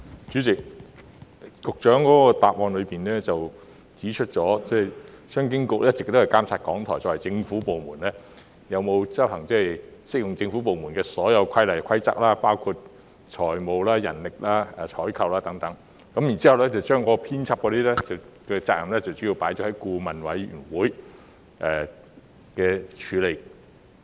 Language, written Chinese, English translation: Cantonese, 主席，局長在主體答覆中指出，商經局一直監察港台作為政府部門，有否遵行適用於政府部門的所有規例和規則，包括有關財務管制、人力資源管理、採購等事宜的規則，至於編輯責任則主要交由顧委會處理。, President the Secretary pointed out in the main reply that CEDB had been overseeing whether RTHK as a government department complied with all applicable government rules and regulations including those on financial control human resources management and procurement matters while BoA was mainly tasked with handling matters relating to editorial responsibilities